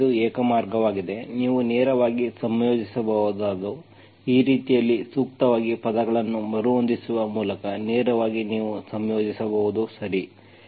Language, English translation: Kannada, So this is the one way, directly you can integrate by rearranging the terms suitably in such a way that you can directly integrate, okay